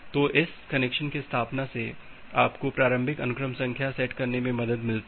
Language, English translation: Hindi, So, this connection establishment it has helped you to set the initial sequence number